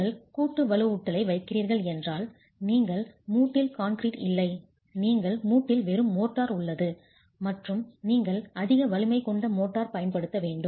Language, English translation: Tamil, If you are placing joint reinforcement, you do not have concrete in the joint, you have just motor in the joint and you have to use high strength motors